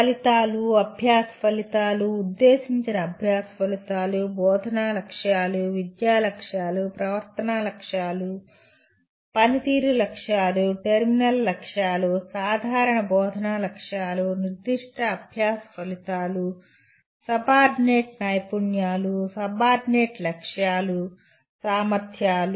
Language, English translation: Telugu, Outcomes, learning outcomes, intended learning outcomes, instructional objectives, educational objectives, behavioral objectives, performance objectives, terminal objectives, general instructional objectives, specific learning outcomes, subordinate skills, subordinate objectives, competencies